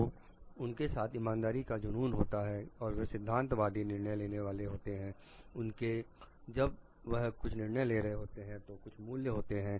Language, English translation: Hindi, So, they have an obsession with fairness and they are like principled decision makers they go over certain values while making the decisions